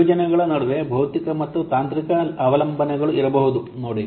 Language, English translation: Kannada, There may be, see, there may be physical and technical dependencies between projects